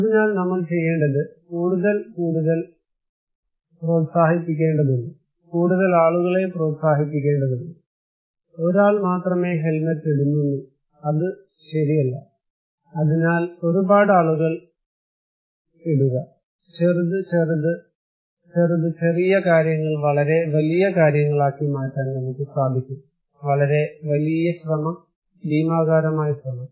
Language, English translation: Malayalam, So, what we need to do is then we need to promote more and more, we need to encourage people more and more people should do it, only one people is putting helmet it is not enough right, so putting a lot; small, small, small, small , small things can be a very big, very big effort, a gigantic effort